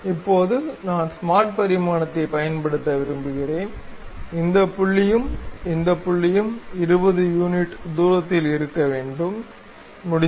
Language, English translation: Tamil, Now, I would like to use smart dimension, this point and this point supposed to be at 20 units of distance, done